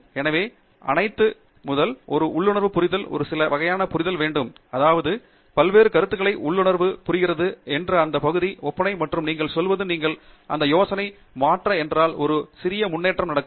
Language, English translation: Tamil, So, that requires first of all, some sort of an intuitive understanding of the blocks of, I mean, intuitive understanding of the different ideas that make makeup that area and you will say, if you change this idea a little bit that might happen